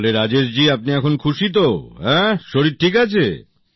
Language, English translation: Bengali, So Rajesh ji, you are satisfied now, your health is fine